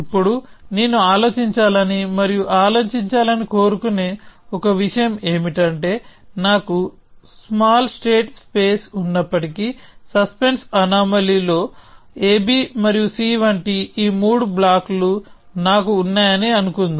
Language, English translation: Telugu, Now one thing that I would like it to sort of ponder over and think about is the following that even if I have a small state space; let us say I have these three blocks like in suspense anomaly a b and c